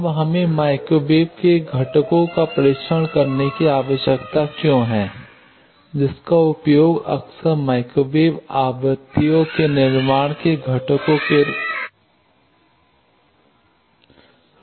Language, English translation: Hindi, Now, why do we need to test components at microwave components often used as building block microwave frequencies